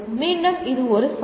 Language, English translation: Tamil, Once again it is a challenge